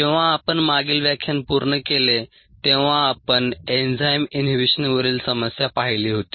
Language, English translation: Marathi, when we finished up the last lecture we had looked at ah problem on in enzyme inhibition ah